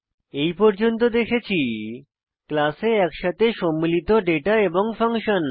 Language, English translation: Bengali, So far now we have seen, The data and functions combined together in a class